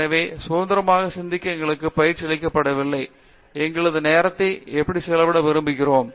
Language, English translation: Tamil, So, we are not really trained to think independently on, how we want to spend our time